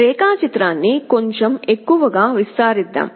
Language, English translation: Telugu, Let us expand the diagram a little bit more